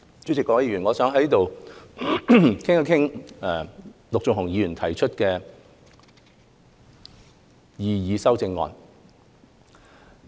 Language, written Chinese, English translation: Cantonese, 主席，各位議員，我想在此談一談陸頌雄議員提出的修正案。, Chairman and Members I will now comment on Mr LUK Chung - hungs amendments